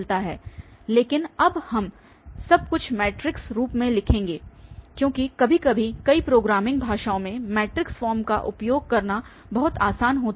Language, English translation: Hindi, But, now we will write everything in the matrix form because sometimes using matrix form is much easier in many programing languages once we have these matrix form the computation is going to be very faster